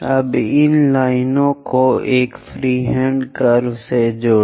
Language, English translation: Hindi, Now join these lines by a free hand curve